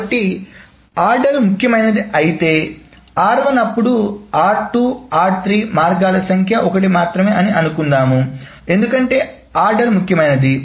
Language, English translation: Telugu, So if the order matters, if order matters, so, 1, then R2, then R3, then so forth, so the number of ways is only 1 because the order matters